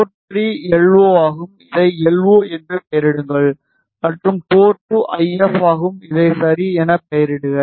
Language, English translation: Tamil, Port 3 is LO; name this as LO and port 2 is IF; name this as IF ok